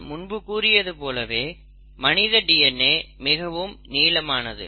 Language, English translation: Tamil, Now, the human DNA as I told you is really big